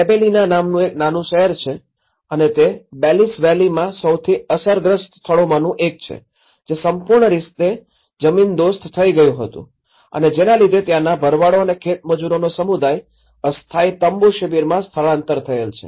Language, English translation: Gujarati, There is a small city called Gibellina and this is one of the most affected places in the Belice Valley, which was completely razed to the ground and its community of shepherds and farm labourers relocated to the temporary tent camps